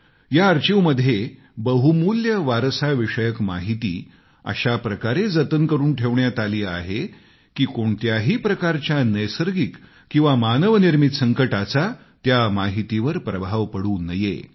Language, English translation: Marathi, Invaluable heritage data has been stored in this archive in such a manner that no natural or man made disaster can affect it